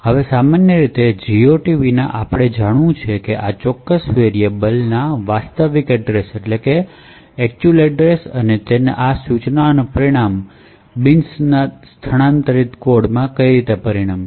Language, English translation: Gujarati, Now, typically without GOT we would require to know the actual address of this particular variable and therefore this particular instruction would result in non relocatable code